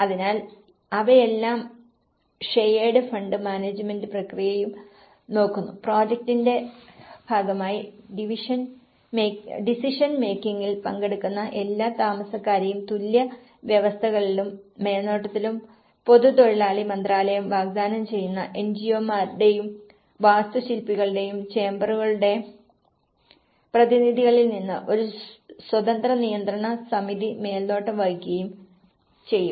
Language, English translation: Malayalam, So, they are all looking at the shared fund management process also, the process of decision making all the residents taking part in this project will be represented on equal terms and the supervision which the Ministry of public worker has to offer an independent control committee would be assembled from the representatives of the chambers of engineers and architects